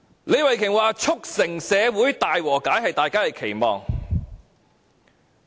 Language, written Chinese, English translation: Cantonese, 李慧琼議員說，促成社會大和解是大家的期望。, According to Ms Starry LEE it is our common aspiration to promote peaceful resolution in society